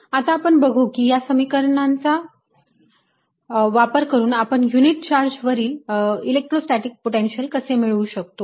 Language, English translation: Marathi, let us see how do we use these equations to get electrostatic potential for a unit charge